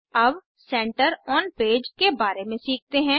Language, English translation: Hindi, Lets learn about Center on page